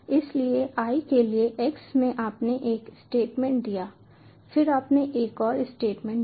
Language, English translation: Hindi, so for i in x, you gave a statement, you gave another statement, so you can modify it in various ways